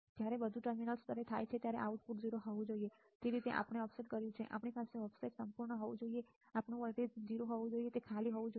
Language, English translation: Gujarati, So, that when everything when the terminals are grounded our output should be 0, that is how we have offset we have our offset should be perfect such that our output voltage should be 0 it should be null right